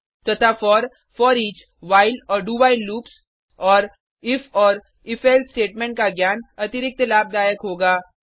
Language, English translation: Hindi, and knowledge of for, foreach, while and do while loops and if and if else statements will be an added advantage